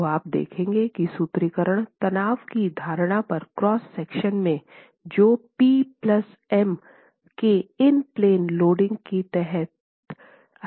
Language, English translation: Hindi, So you will see that the formulation is based on assumptions of strain in the cross section under the in plane loading of p plus m